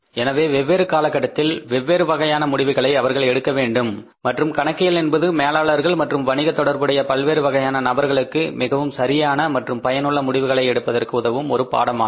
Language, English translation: Tamil, So, they are different decisions which they have to take over a period of time and accounting is a discipline which helps managers and different stakeholders of the businesses to take very relevant and useful decisions